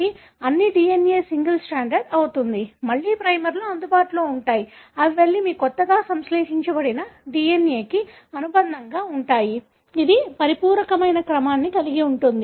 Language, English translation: Telugu, So, all the DNA becomes single stranded, again the primers are available; they will go and bind to your newly synthesised DNA, which has complementary sequence